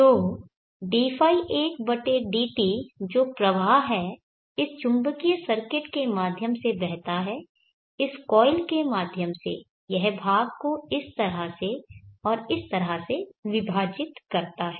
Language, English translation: Hindi, 1/dt which is the flow, flows through this magnetic circuit through this coil it divides part in this fashion and part in this fashion